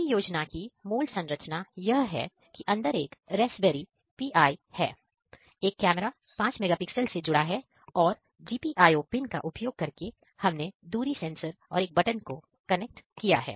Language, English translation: Hindi, The basic architecture of the; the basic architecture of the project is that there is a Raspberry Pi inside, a camera is connected to it of 5 megapixel camera and using the GPIO pins, we have connected the distance sensor and a button